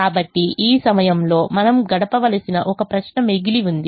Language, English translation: Telugu, so at this point one question remains